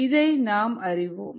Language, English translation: Tamil, we all know this